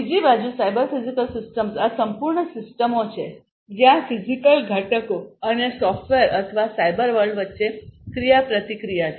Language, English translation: Gujarati, On the other hand, the cyber physical systems these are complete systems where there is an interaction between the physical components and the software or, the cyber world